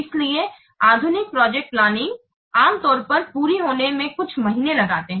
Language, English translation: Hindi, So normally the modern projects typically takes a few months to complete